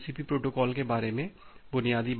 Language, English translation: Hindi, So, that is the basic things about the TCP protocol